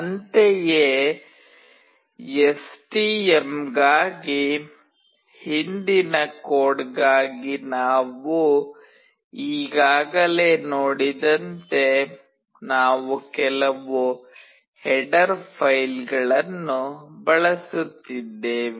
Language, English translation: Kannada, Similarly, as you have already seen that for the previous code for STM, we were using some header files